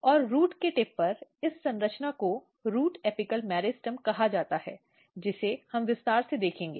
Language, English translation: Hindi, And at the very tip of the root, this structure is called root apical meristem which we will look in detail